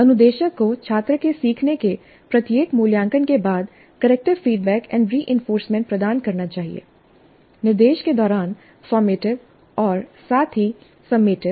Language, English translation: Hindi, Instructor must provide corrective feedback and reinforcement after every assessment of student learning, formative as well as summative during the instruction